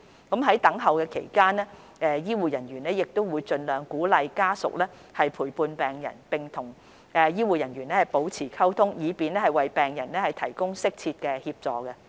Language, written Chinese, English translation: Cantonese, 在等候期間，醫護人員亦會盡量鼓勵家屬陪伴病人並與醫護人員保持溝通，以便為病人提供適切的協助。, Family members are encouraged to accompany the patients where possible and maintain communication with the healthcare staff while waiting in the AE departments to ensure appropriate assistance could be given to the patients